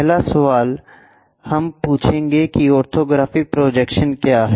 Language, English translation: Hindi, First question we will ask what is an orthographic projection